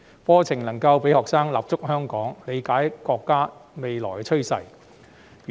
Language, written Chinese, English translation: Cantonese, 課程讓學生能夠立足香港，理解國家的未來發展。, The curriculum allows students to have a foothold in Hong Kong and understand the future development of the country